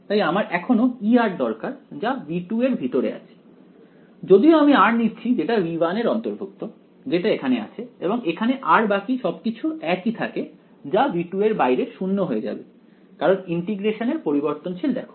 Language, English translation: Bengali, So, I still need E r inside v 2 even though I am putting r belonging to v 1 r belonging to v 1 goes in over here and in this r everything else remains the same that is going to be 0 outside v 2 because see the variable of integration